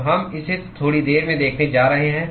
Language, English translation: Hindi, So, we are going to see that in a short while